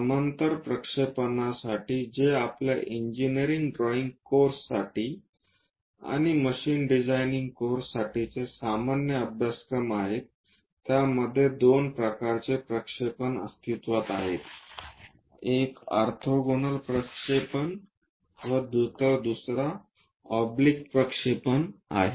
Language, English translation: Marathi, For parallel projections which are quite common for our engineering drawing course and machine designing kind of courses there are two types of projections exists, one is orthogonal projection, other one is oblique projection